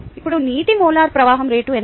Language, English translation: Telugu, we need the molar flow rate of air